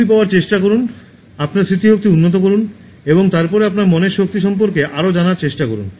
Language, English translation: Bengali, Try to get them, improve your memory and then try to know more about your mind power and try to improve that also